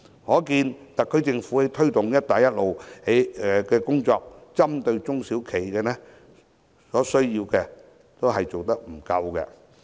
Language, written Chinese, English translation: Cantonese, 可見特區政府在推動"一帶一路"的工作上，針對中小企的需要做得不足。, From this we can see that the SAR Government is not doing enough to assist SMEs in its promotion of the Belt and Road Initiative